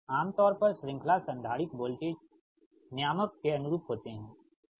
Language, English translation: Hindi, so series capacitor, actually it improves the voltage